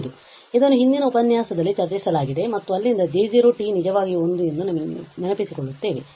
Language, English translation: Kannada, So, there was this was discussed in the earlier lecture and also we recall from there that J 0 t was actually 1